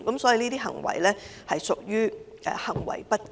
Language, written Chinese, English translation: Cantonese, 此等作為實屬行為不檢。, Such behaviours indeed constitute misbehaviour